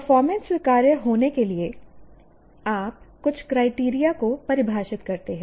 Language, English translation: Hindi, This performance for it to be acceptable, you define some criteria